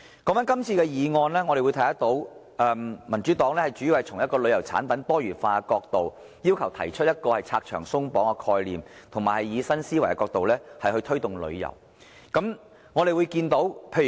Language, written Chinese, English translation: Cantonese, 關於今天這項議案，民主黨主要從旅遊產品多元化的角度，提出拆牆鬆綁的概念，並以新思維推動旅遊。, As regards the motion today the Democratic Party mainly speaks from the perspective of diversifying tourism products and proposes the idea of abolishing various regulations and restrictions and promoting tourism with a new mindset